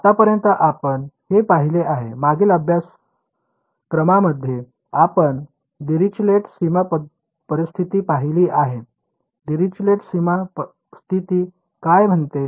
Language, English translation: Marathi, Now you have seen so, far in previous courses you have seen Dirichlet boundary conditions what would Dirichlet boundary condition say